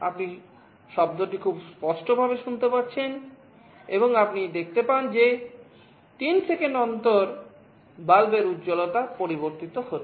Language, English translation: Bengali, You can hear the sound very clearly, and in the bulb you can see that with gaps of 3 seconds the brightness is changed